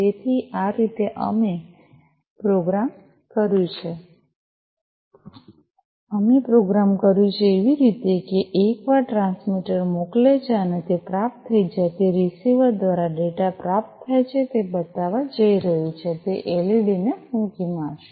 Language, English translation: Gujarati, So, this is the way we have programmed that we have programmed, in such a way, that once the transmitter sends and it is received the data is received by the receiver it is going to show, it is going to blow that led